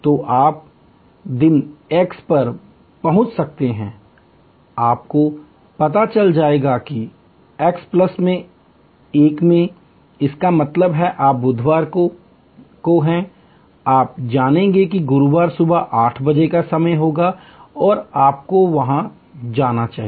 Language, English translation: Hindi, So, you may arrive at day x, you will know that in x plus 1; that means, you are on Wednesday, you will know that Thursday morning 8 AM will be the time and you should be there